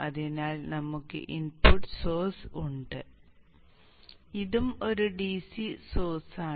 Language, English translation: Malayalam, So we have this input source and this is also a DC source